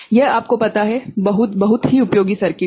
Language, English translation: Hindi, This is very, very you know useful circuit